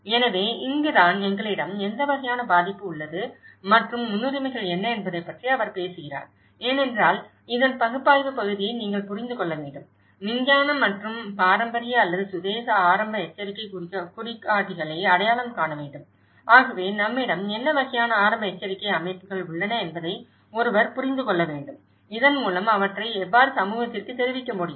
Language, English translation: Tamil, So, this is where, he talks about the what kind of degree of vulnerability we do have and what is the priorities because this is where you one has to understand the analysis part of it, identify the scientific and traditional or indigenous early warning indicators, so one has to understand that what kind of early warning systems we have, so that how we can inform these to the community